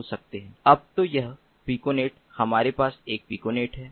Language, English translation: Hindi, so this piconet, we have one piconet, we have another piconet, we have another piconet